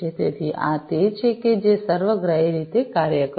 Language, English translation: Gujarati, So, this is how it is going to work holistically